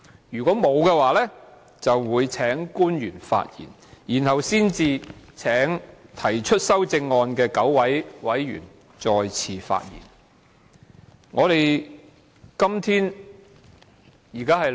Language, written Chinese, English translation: Cantonese, "如沒有，就會請官員發言，然後才請提出修正案的9位委員再次發言。, If no Member wishes to speak officials are called upon to speak . It is only after this that the nine Members who have proposed amendments are called upon to speak again